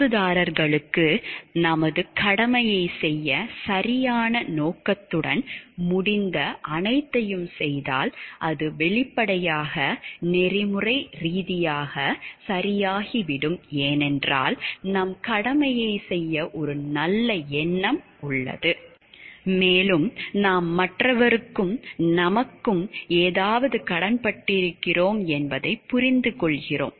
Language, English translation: Tamil, If we try our best with all proper intentions to do our part of duty to the stakeholders, concerned stakeholders then the, it will obviously become ethically correct because, there is a good intention to perform our duty and we understand we owe something to the other person and we need to take up that responsibility and give it back